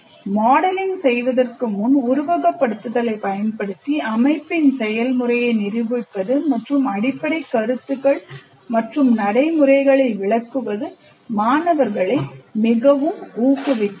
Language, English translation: Tamil, Demonstration of behavior of the system using simulation before modeling and explaining the underlying concepts and procedures is greatly motivating the students